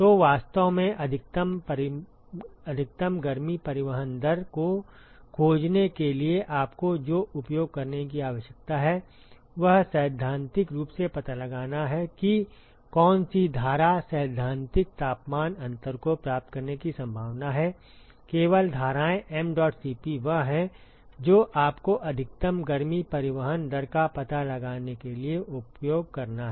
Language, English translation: Hindi, So, really what you need to use to find the maximum heat transport rate is find out theoretically as to which stream is likely to achieve the theoretical temperature difference only that streams mdot Cp is what you have to use to find out the maximal heat transport rate ok